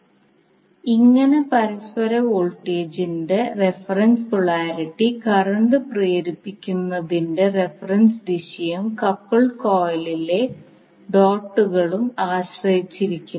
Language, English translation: Malayalam, Thus the reference polarity of the mutual voltage depends upon the reference direction of inducing current and the dots on the couple coil